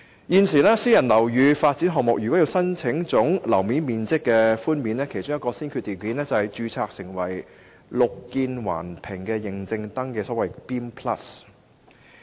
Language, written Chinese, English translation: Cantonese, 現時，私人樓宇發展項目如要申請總樓面面積寬免，其中一個先決條件是註冊"綠建環評"認證登記。, At present a private housing development project is required to register under Building Environmental Assessment Method Plus BEAM Plus as a prerequisite for application for gross floor area concession